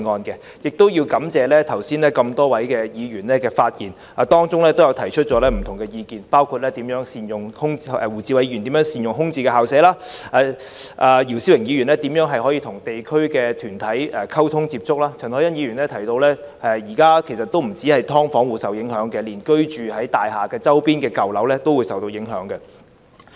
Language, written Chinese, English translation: Cantonese, 我亦感謝剛才多位議員發言時提出的不同意見，包括胡志偉議員提及如何善用空置的校舍；姚思榮議員提及如何與地區團體溝通及接觸；陳凱欣議員提到，現時不單是"劏房戶"受影響，連居住於舊樓的人都會受影響。, I also thank various Members for raising different views in their earlier speeches . Among them Mr WU Chi - wai mentioned how vacant school premises could be used effectively; Mr YIU Si - wing discussed how to communicate and liaise with community organizations; and Ms CHAN Hoi - yan asserted that not only residents of subdivided units but also those living in dilapidated buildings would be affected